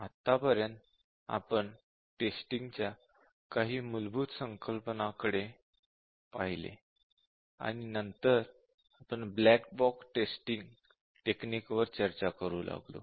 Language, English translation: Marathi, So far we had looked at some very basic concepts on testing, and then we started to look at black box testing techniques